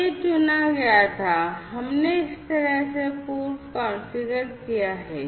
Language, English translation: Hindi, So, this was selected, right, so this we have pre configured this way